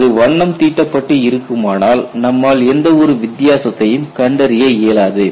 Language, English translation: Tamil, If it is painted you will not be able to find out any difference